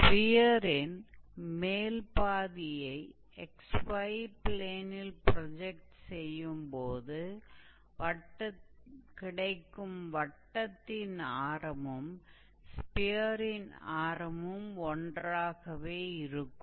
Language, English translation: Tamil, So, when we take the projection of the upper half on xy plane, it will be a circle with similar radius